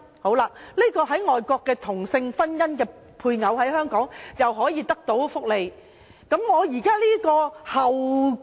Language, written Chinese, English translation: Cantonese, 這位在外國註冊的同性婚姻的配偶，在香港可享受福利嗎？, Can the spouse of the same - sex marriage registered overseas enjoy benefits in Hong Kong?